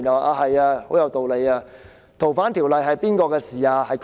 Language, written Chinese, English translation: Cantonese, 究竟修訂《逃犯條例》是誰的事情？, Who actually is responsible for amending the Fugitive Offenders Ordinance?